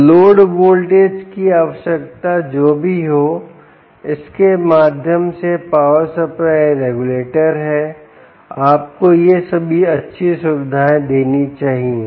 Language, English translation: Hindi, so, whatever be the load voltage requirement, this power supply, through its regulator, should give you all these nice ah features